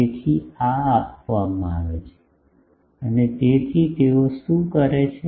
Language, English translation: Gujarati, So, this is given and so, what they do